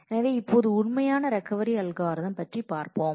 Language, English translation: Tamil, So, now let us look into the actual Recovery Algorithm